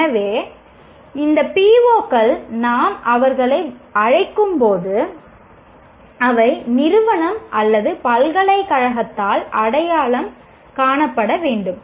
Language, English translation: Tamil, So, these PIVOs, as we call them, they are to be identified by the institution or the university